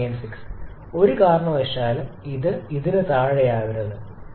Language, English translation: Malayalam, 896 and in no case it should fall below this